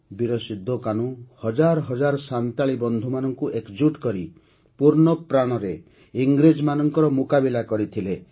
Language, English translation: Odia, Veer Sidhu Kanhu united thousands of Santhal compatriots and fought the British with all their might